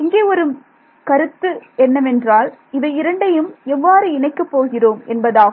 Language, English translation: Tamil, So, the main sort of concept now is how do I tie these two things together